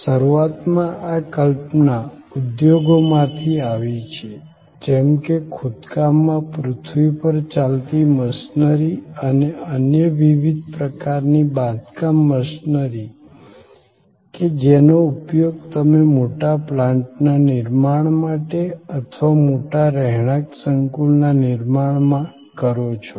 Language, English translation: Gujarati, Initially, this concept came about from industries like earth moving machinery in a excavation and various other kinds of construction machinery that are used, when you are creating a large plant or creating a large residential complex